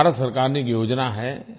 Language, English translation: Hindi, It is a scheme of the Government of India